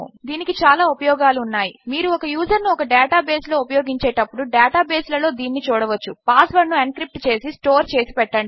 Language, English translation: Telugu, This has many uses, you can use it in data bases when you are registering a user in a data base, encrypt the password then store it